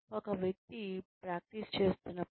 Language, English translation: Telugu, When a person is practicing